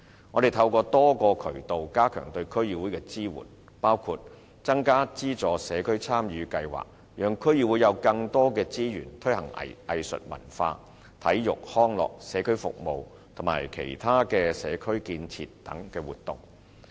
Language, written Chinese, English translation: Cantonese, 我們透過多個渠道加強對區議會的支援，包括增加社區參與計劃的撥款，讓區議會有更多資源推行藝術文化、體育、康樂、社區服務和其他社區建設等活動。, We have enhanced our support for DCs through multiple channels including the provision of additional resources for community involvement programmes so that DCs will have more resources to implement arts and cultural sport recreational community service and other community building activities . From 2015 - 2016 onwards the relevant provision has been increased to some 360 million